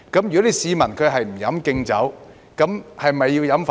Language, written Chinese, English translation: Cantonese, 如果市民不飲"敬酒"，是否要飲"罰酒"？, If people refuse to drink a toast will they be forced to drink a forfeit?